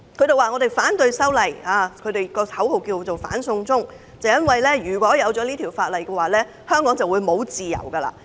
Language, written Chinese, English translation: Cantonese, 他們反對修例，他們的口號是"反送中"，因為修例通過以後，香港便沒有自由。, They oppose the amendment and their slogan is No China extradition because they think that there will be no more freedom in Hong Kong after the passage of the amendment